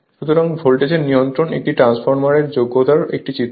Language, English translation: Bengali, So, voltage regulation is a figure of merit of a transformer